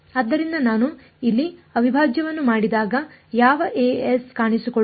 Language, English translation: Kannada, So, when I do the integral over here which of the a s will appear